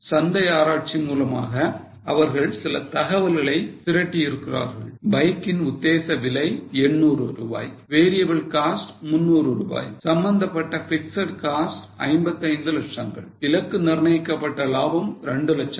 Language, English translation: Tamil, They have collected some data based on market research like the likely price per bike is 800, variable cost is 300, fixed costs related to production are 55 lakhs, target profit is 2 lakhs, total estimated sales are 12,000 bikes